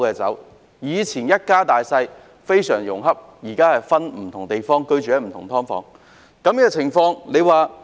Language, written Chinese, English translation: Cantonese, 從前一家大小非常融洽，現在卻分居不同地方，更有家人入住"劏房"。, The family used to live in great harmony but now its members are living in different places and some of them are living in subdivided units